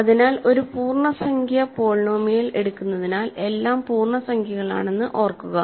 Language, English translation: Malayalam, So, remember a is are all integers because I am taking an integer polynomial